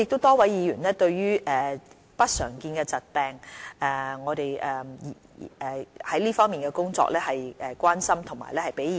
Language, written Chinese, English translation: Cantonese, 多位議員關心我們在支援不常見疾病的工作，並給予我們意見。, Many Members expressed their concerns and gave us their views on our assistance to patients with uncommon diseases